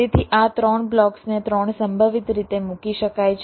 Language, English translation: Gujarati, so these three blocks can be placed in three possible ways